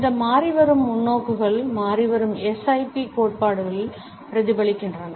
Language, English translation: Tamil, And these changing perspectives are reflected in the changing SIP theories